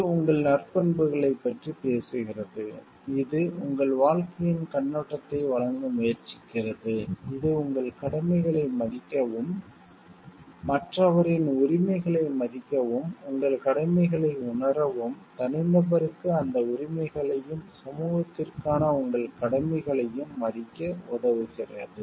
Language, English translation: Tamil, That talks of your virtuous nature which life tries to give your perspective of life which helps you to respect your duties respect to rights of other person and realize your duties, to respect those rights to the of the individual and your duties to the society at large